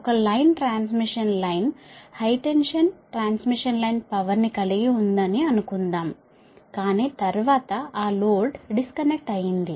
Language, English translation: Telugu, i repeat this: suppose a line transmission line, high tension transmission line, was carrying power, but after that that load is disconnected